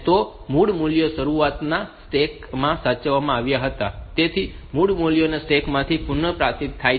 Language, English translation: Gujarati, So, the original values were saved in the stack at the beginning original values are restored from the stack